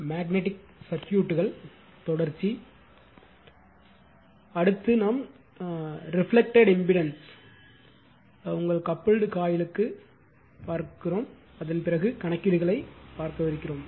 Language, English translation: Tamil, So, next will see the reflected impedance right up to mutually your couple coil and after that will see that numericals